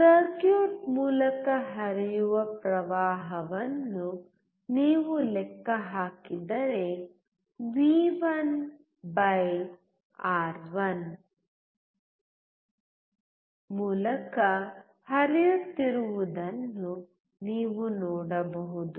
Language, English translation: Kannada, If you calculate the current flowing through the circuit, you can see that v1/R1 is flowing through R1